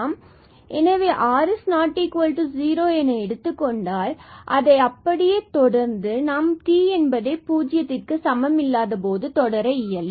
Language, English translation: Tamil, So, here we assume r is not equal to 0 and now, proceed so same thing we can do when t is not equal to 0